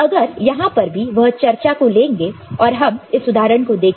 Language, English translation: Hindi, So, here also if we take up, we look at this particular example